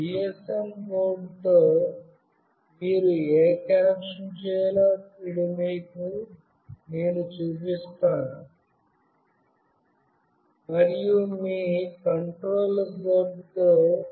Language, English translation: Telugu, Now I will be showing you what connection you have to make with this GSM board, and with your microcontroller board